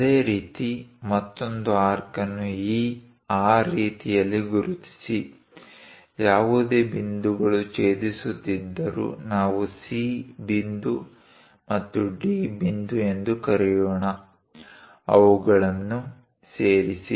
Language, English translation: Kannada, Similarly, mark another arc in that way; whatever the points are intersecting, let us call C point and D point; join them